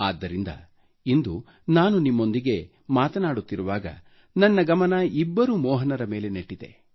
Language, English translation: Kannada, And that's why today, as I converse with you, my attention is drawn towards two Mohans